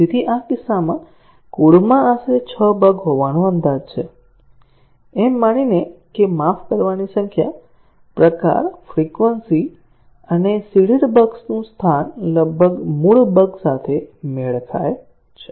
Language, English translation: Gujarati, So, for this case, approximately 6 errors are estimated to be there in the code, assuming that, the number of sorry, the type frequency and the location of the seeded bugs roughly match with that of the original bugs